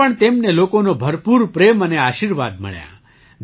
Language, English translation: Gujarati, There too, he got lots of love and blessings from the people